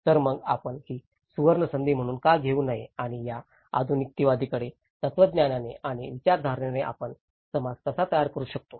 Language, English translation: Marathi, So, why not take this as a golden opportunity and how we can build a society with these modernistic philosophies and ideologies